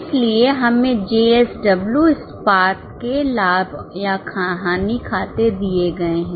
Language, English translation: Hindi, So, we have been given Profit on Loss account of JSW SPAT steel